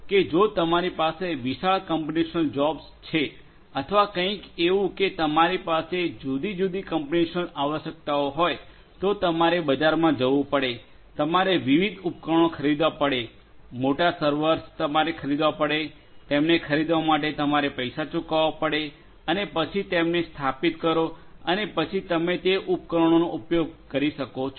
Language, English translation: Gujarati, That if you have a you know huge computational job or you know something where you have different computational requirements you would have to go to the market, you will have to procure the different equipments the big servers you will have to procure you have to buy them you have to pay money upfront and then install them and then you will be able to use those equipments